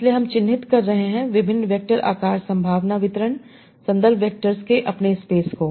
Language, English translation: Hindi, So I am denoting different vectors as probability distribution in my space of the context vectors